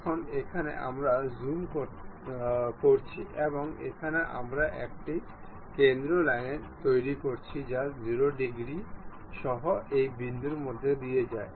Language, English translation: Bengali, Now, here zooming and here we make a center line which pass through this point with 0 degrees